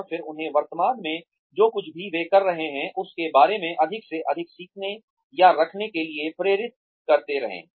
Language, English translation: Hindi, And, then motivate them to keep going, through the or to keep learning, more and more about, whatever they are doing currently